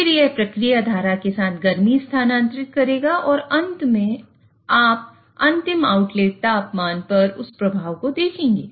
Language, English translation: Hindi, Then it will transfer heat with the process stream and eventually you will see that effect on the final outlet temperature